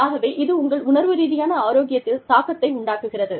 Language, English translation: Tamil, So, and that influences, your emotional health